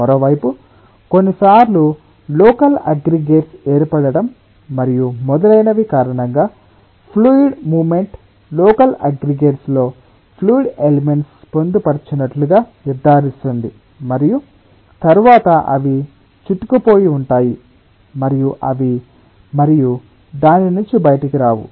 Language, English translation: Telugu, on the other hand, sometimes it may be possible that ah because of formation of local aggregates and so on, ah the movement of the fluid ensures that fluid element are entrapped within the local aggregates and then ah they are in great entanglement and they cannot come out of those entrapment and flow